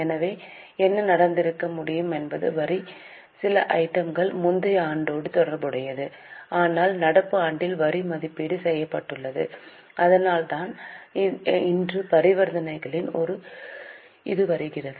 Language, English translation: Tamil, So, what could have happened is some item of tax is related to earlier year but the assessment of tax has been made in the current year